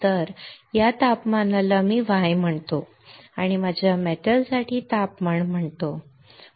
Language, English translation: Marathi, So, let us say I call this temperature Y and the temperature for my metal, right